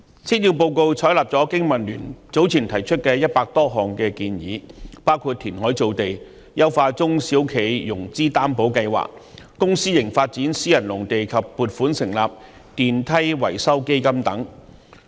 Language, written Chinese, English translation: Cantonese, 施政報告採納了香港經濟民生聯盟早前提出的100多項建議，包括填海造地、優化中小企融資擔保計劃、公私營發展私人農地及撥款成立電梯維修基金等。, The Policy Address has taken on board the 100 - odd proposals put forward by the Business and Professionals Alliance for Hong Kong BPA some time ago including formation of land through reclamation enhancement of the SME Financing Guarantee Scheme development of private agricultural land through public - private partnership making provisions for establishing a fund for repairs of lifts and so on